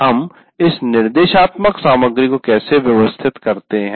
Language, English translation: Hindi, And now how do we organize this instructional material